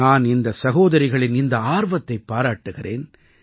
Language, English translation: Tamil, I appreciate the spirit of these sisters